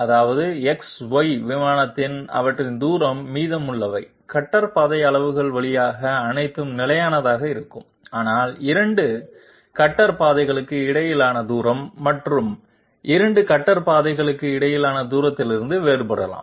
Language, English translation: Tamil, That means their distance on the X Y plane is remaining is going to remain constant all through the cutter path extent, but distance between 2 cutter paths might well be different from the distance between 2 other cutter paths